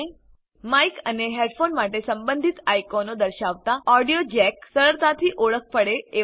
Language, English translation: Gujarati, The audio jacks are easily identifiable, with respective icons for mic and headphones